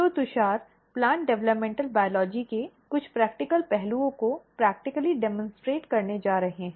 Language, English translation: Hindi, So, Tushar is going to practically demonstrate you some of the practical aspects of plant developmental biology